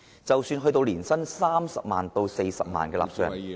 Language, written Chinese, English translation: Cantonese, 即使是年薪30萬元至40萬元的納稅人......, Even for taxpayers with an annual income of 300,000 to 400,000